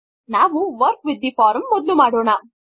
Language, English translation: Kannada, Let us Work with the form first